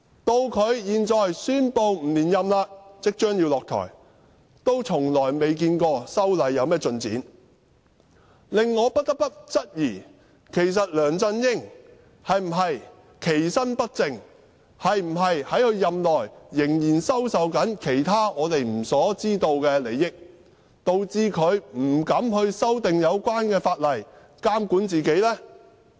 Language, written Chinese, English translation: Cantonese, 到他現在宣布不連任，即將下台，仍未看到修例一事有何進展，令我不得不質疑，其實梁振英是否其身不正，是否在任內仍在收受其他我們不知道的利益，導致他不敢修訂有關法例來監管自己呢？, Now he has announced his decision not to run for another term and is about to step down but we still cannot see any progress in this matter . I cannot help but suspect that he may have done something wrong or may have received other benefits during his term that we are unaware of such that he dare not amend the Ordinance to regulate himself